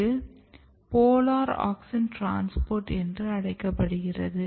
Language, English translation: Tamil, So, there is a process called polar auxin transport